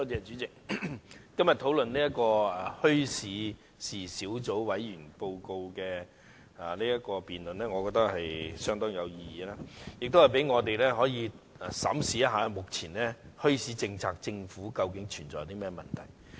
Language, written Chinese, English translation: Cantonese, 主席，今天就墟市事宜小組委員會的報告進行的議案辯論，我覺得相當有意義，可以讓我們審視一下政府的現行墟市政策究竟存在甚麼問題。, President I think the motion debate on the Report of the Subcommittee on Issues Relating to Bazaars today is very meaningful for it allows us to review the actual problems arising in the Governments current policy on bazaars . Certainly I am not denying that bazaars have an important influence on Hong Kong at present